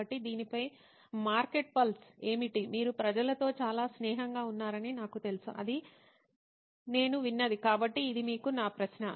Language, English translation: Telugu, So what is the market pulse on this, you are the people guy I know you are very friendly with people that is what I hear, so this is my question to you